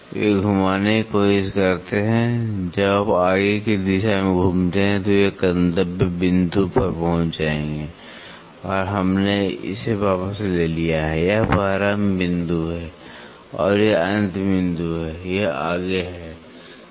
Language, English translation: Hindi, They try to rotate, when you rotate in the forward direction they will reach a destination point and then we have retract it this is the start point, and this is the end point, this is onward